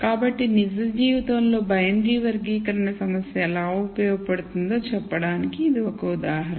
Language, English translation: Telugu, So, this is one example of how a binary classification problem is useful in real life